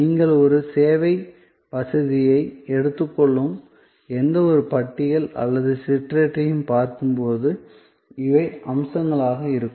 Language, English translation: Tamil, This as you will see any catalog or brochure that you take of a service facility, these will be the features